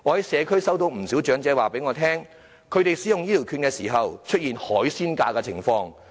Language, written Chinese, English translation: Cantonese, 社區有不少長者告訴我，他們在使用醫療券時出現收費"海鮮價"的情況。, Many elderly persons in the community have told me they have been charged seasonal prices when using healthcare vouchers